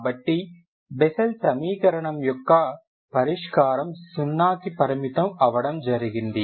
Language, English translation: Telugu, So those solution of Bessel equation which are bounded at 0